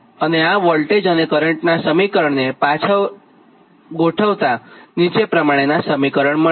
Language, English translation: Gujarati, you rearrange this equation for voltage and currents can be rearranged